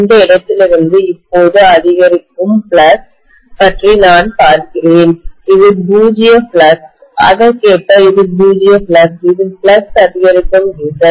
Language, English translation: Tamil, I am looking at now increasing flux from this point, this is zero flux, correspondingly this is zero flux, this is the increasing direction of flux